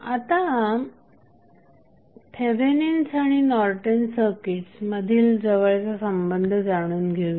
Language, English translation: Marathi, Now, let us understand the close relationship between Thevenin circuit and Norton's circuit